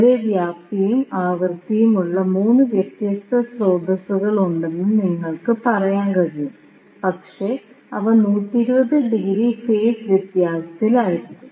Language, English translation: Malayalam, So, you can say that the there are 3 different sources having the same amplitude and frequency, but they will be out of phase by 120 degree